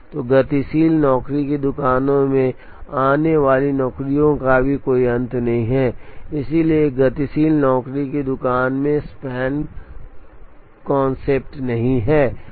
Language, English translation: Hindi, So, in dynamic job shops there is also no end to the jobs coming in, so there is no make span concept in a dynamic job shop